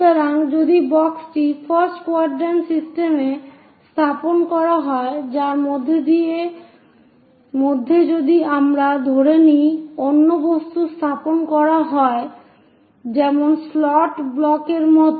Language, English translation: Bengali, So, if the box is placed at the first quadrant system in which if we are assuming another object is placed; something like this slot block